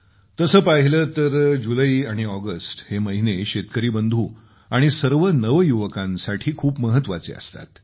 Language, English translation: Marathi, Usually, the months of July and August are very important for farmers and the youth